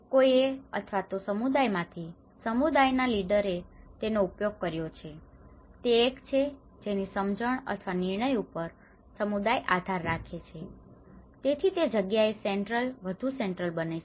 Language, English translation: Gujarati, So, someone let us say in a community; a community leader has used that then, he is the one where the community is relying upon his understanding or his decision, so that is where that is more central that becomes more central